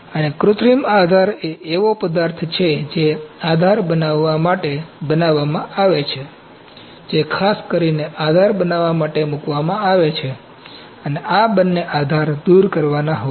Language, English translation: Gujarati, And synthetic support is the material that is designed to build the support, that is specifically put in to build the support and both the supports are to be removed